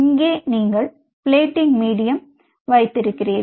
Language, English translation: Tamil, here you have the plating medium